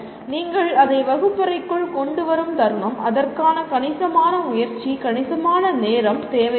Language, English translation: Tamil, And the moment you bring that into the classroom, it is going to take considerable effort, considerable time for that